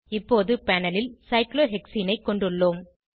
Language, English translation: Tamil, We now have cyclohexene on the panel